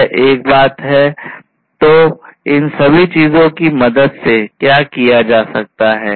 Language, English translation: Hindi, So, this is one thing; so all of these things can be done with the help of what